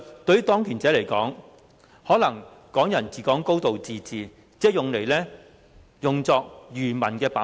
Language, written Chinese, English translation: Cantonese, 對當權者來說，"港人治港"、"高度自治"可能只是用作愚民的把戲。, To those in power Hong Kong people ruling Hong Kong and a high degree of autonomy may only be a trick to fool the masses